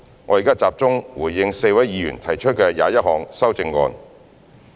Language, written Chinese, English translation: Cantonese, 我現在集中回應4位議員提出的21項修正案。, Now I will focus my response on the 21 amendments proposed by four Members